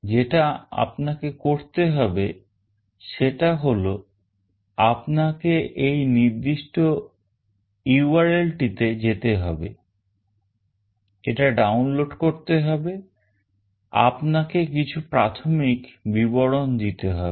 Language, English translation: Bengali, All you need to do is that you need to go this particular URL, you need to download this, and then you have to provide some basic details